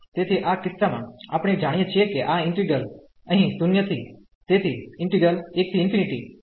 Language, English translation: Gujarati, So, in this case we know that this integral here 0 to so 1 to infinity and this 1 over x power 1 by 3 d x